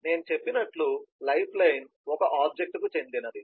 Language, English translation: Telugu, so as i said, the lifeline will belong to an object